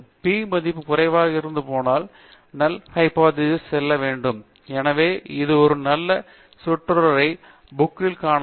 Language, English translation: Tamil, Whenever the p value is low, the null hypothesis must go; so, that is a nice phrase that you will find in OgunnaikeÕs book